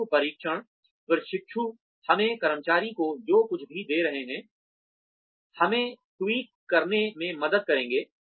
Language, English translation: Hindi, Pre testing trainees will help us tweak, whatever we are giving to the employees